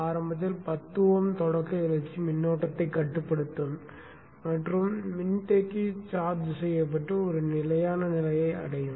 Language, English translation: Tamil, So initially the 10 oms will limit the startup search current and the capacitor will get charged and reach a steady state